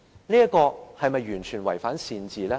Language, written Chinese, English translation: Cantonese, 這是否完全違反善治呢？, Does this not run counter to good governance?